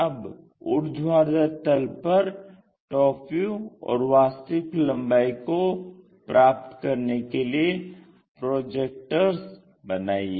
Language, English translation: Hindi, Now, draw the projectors to locate top view and true length on that vertical plane